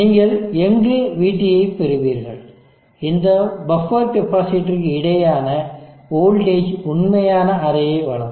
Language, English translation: Tamil, And where it you get VT, the voltage across this buffer capacitor will give the actual array